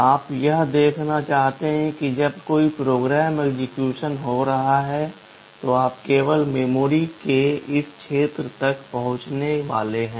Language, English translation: Hindi, You want to see that when a program is executing, you are supposed to access only this region of memory